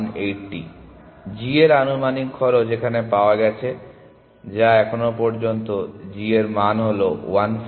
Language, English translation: Bengali, The estimated cost of g is the cost found, so far which is the g value which is 150